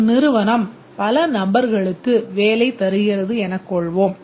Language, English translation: Tamil, Let's say a company employs many persons